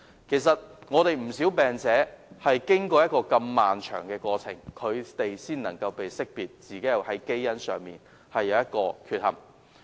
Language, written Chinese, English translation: Cantonese, 其實，有不少病者是經過如此漫長的過程，才能識別自己的基因出現缺憾。, Actually many patients have undergone such a prolonged process before realizing their genetic defects